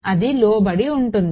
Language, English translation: Telugu, So, that will be subjected